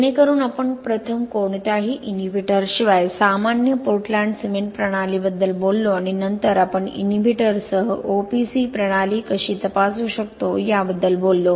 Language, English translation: Marathi, Now today, so that was about the we first talked about ordinary Portland cement system without any inhibitors then we talked about how we can check OPC systems with inhibitors